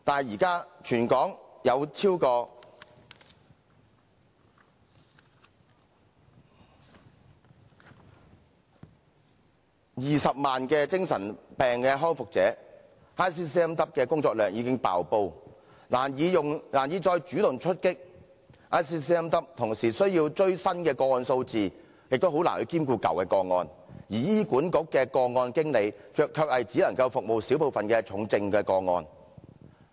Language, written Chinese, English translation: Cantonese, 現時全港有超過20萬名精神病康復者 ，ICCMW 的工作量已經"爆煲"，難以再主動出擊 ；ICCMW 同時需要追新的個案數字，亦難以兼顧舊的個案，而醫院管理局的個案經理卻只能服務小部分重症個案。, Facing more than 200 000 people recovering from mental illness in Hong Kong ICCMWs are heavily overloaded with work and can hardly deliver any proactive service . While trying to meet a prescribed number of new cases ICCMWs have difficulties taking care of existing cases . Meanwhile case managers under the Hospital Authority can only provide services to a small number of serious cases